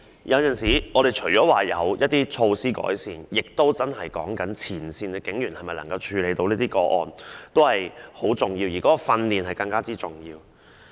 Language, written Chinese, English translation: Cantonese, 因此，除了要有改善措施外，前線警員是否真的能處理相關個案有時亦很重要，而提供訓練則更為重要。, Hence in addition to improvement measures sometimes the actual ability of frontline police officers to handle such cases is also important and the provision of training is even more so